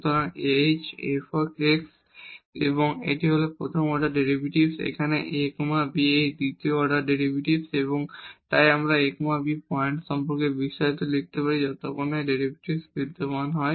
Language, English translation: Bengali, So, h f x and this is the first order derivative here the second order derivatives at a b and so on we can write down this expansion about this a b point as long as these derivatives exist